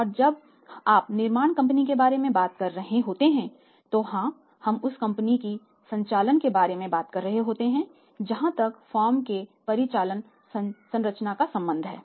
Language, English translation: Hindi, And when you are talking about the manufacturing company then yes we are talking about the operations of that company as far as the operating structure of the firm is concerned right